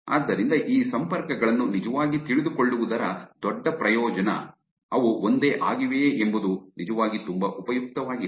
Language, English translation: Kannada, So, a big advantage of actually knowing these connections, whether they are same, is actually very, very useful